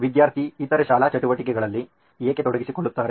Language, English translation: Kannada, Why would student be engaged in other school activities